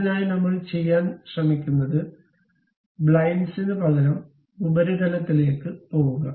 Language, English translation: Malayalam, For that purpose what we are trying to do is, instead of blind; go all the way up to the surface